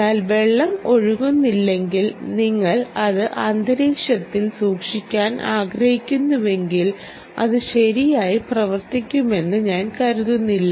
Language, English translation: Malayalam, but if there is no water flowing and you just want to keep it in ambient, i dont think it will work